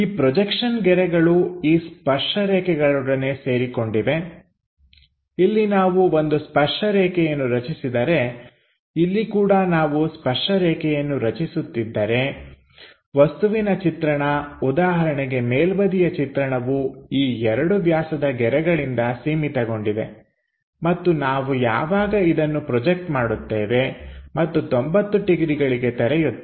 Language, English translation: Kannada, So, the projection lines bounded by this tangent lines, so here if we are constructing a tangent line, here also if we are constructing a tangent line the object view, for example this top view will be bounded by these two diameter lines and when we are projecting it and opening that entirely by 90 degrees, then this object comes there